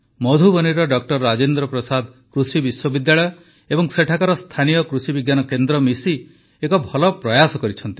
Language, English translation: Odia, Rajendra Prasad Agricultural University in Madhubani and the local Krishi Vigyan Kendra have jointly made a worthy effort